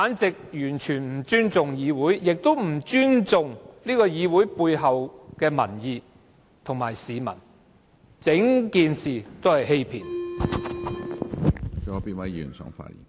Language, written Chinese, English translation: Cantonese, 這完全是不尊重議會，亦不尊重議會背後的民意，完全是欺騙市民。, This is simply a disrespect for the legislature and the public opinion that this legislature represents and all the more a deception to the public